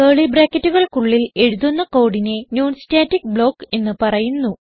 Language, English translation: Malayalam, Any code written between two curly brackets is a non static block